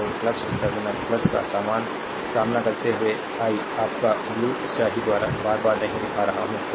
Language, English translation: Hindi, So, encountering plus terminal plus , I am not showing again and again by your blue ink